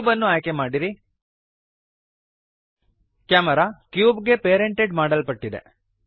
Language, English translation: Kannada, Select cube, The Camera has been parented to the cube